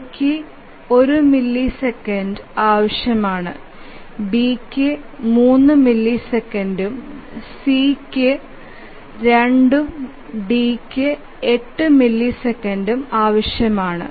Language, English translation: Malayalam, So, A requires 1 millisecond, B requires 3 millisecond, C requires 2 and D requires 8 millisecond